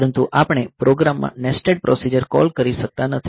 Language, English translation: Gujarati, But we in a program I may not have nested procedure calls